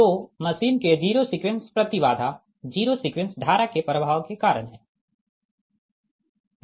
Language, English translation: Hindi, so zero sequence impedance of the machine is due to the flow of the zero sequence current